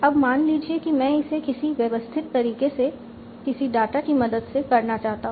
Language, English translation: Hindi, Now suppose I want to do it in some sort of systematic manner by using some sort of data